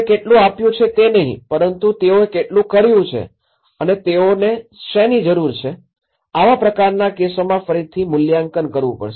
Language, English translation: Gujarati, It is not how much you are providing but how much they have done and what needs to be done, this is where a reevaluation has to be done in these kind of cases